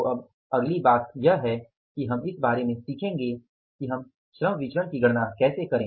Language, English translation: Hindi, So, now the next thing is we will be doing a learning about is that we will be learning about for calculating the labor variances